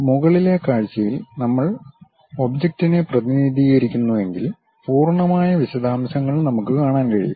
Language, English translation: Malayalam, In top view if we are representing the object, the complete details we can see